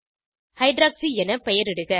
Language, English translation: Tamil, Name it as Hydroxy